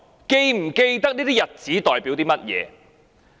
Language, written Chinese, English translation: Cantonese, 是否記得這些日子代表甚麼？, Does he remember what these dates represent?